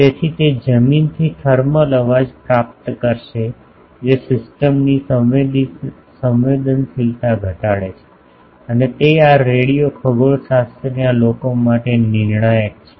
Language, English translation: Gujarati, So, it will receive thermal noise from the ground which reduce the sensitivity of the system and that is crucial for this radio astronomy people